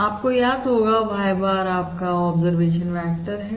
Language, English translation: Hindi, y bar is your observation vector